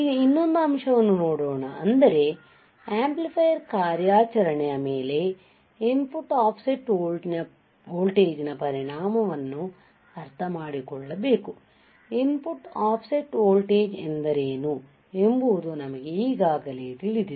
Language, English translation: Kannada, Now, let us see another point another point that is we have to understand the effect of input offset voltage on the amplifier operation, we will see now effect of input offset voltage on the amplifier operation